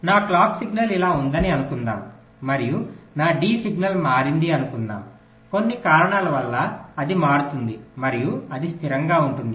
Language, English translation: Telugu, so when the clock becomes zero, like what i am saying, is that suppose my clock signal is like this and lets say, my d signal changes, because of some reason it changes and it remains stable like that